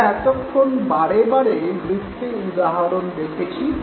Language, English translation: Bengali, Now till now we were repeatedly taking examples of circles